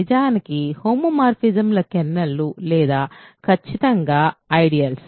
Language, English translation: Telugu, In fact, kernels of homomorphisms or exactly the ideals